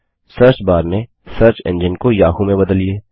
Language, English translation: Hindi, Change the search engine in the search bar to Yahoo